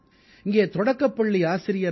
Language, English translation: Tamil, A Primary school teacher, P